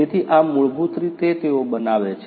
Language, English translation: Gujarati, So, this is basically what they make